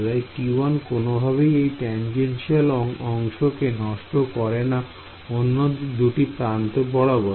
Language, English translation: Bengali, So, T 1 does not at all corrupt the tangential component of the field along the other 2 edges